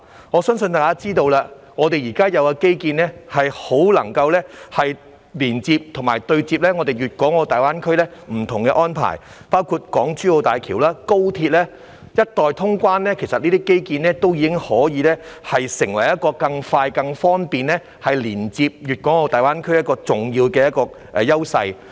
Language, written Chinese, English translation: Cantonese, 我相信大家知道，香港現有的基建很能夠連接和對接大灣區不同的安排，包括港珠澳大橋和高鐵，一待通關，這些基建便可成為更快、更方便連接大灣區的重要優勢。, I believe Members all know that the existing infrastructures in Hong Kong can connect and interface with different arrangements in GBA including the Hong Kong - Zhuhai - Macao Bridge and the Express Rail Link; once cross - border travel is resumed these infrastructures will serve as an important advantage for faster and more convenient connection with GBA